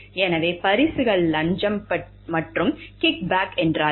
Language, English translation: Tamil, So, what are gifts bribes and kick backs